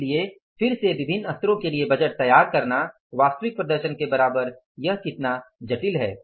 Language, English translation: Hindi, So, again preparing the budget for the different level of is equal to the actual performance, how complex it is